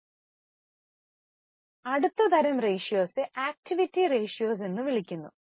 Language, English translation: Malayalam, Now, the next type of ratios are known as activity ratios